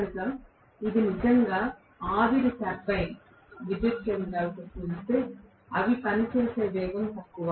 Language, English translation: Telugu, So it is really, really a lower speed at which they work as compared to the steam turbine power stations